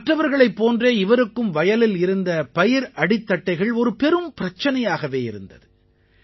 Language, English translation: Tamil, Just like others, the stubble in the fields was a big concern for him too